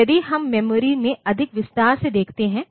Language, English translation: Hindi, So, if we look into the memory in more detail